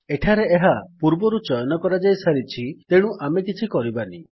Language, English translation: Odia, Here it is already selected, so we will not do anything